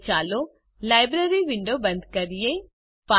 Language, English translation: Gujarati, Now, lets close the Library window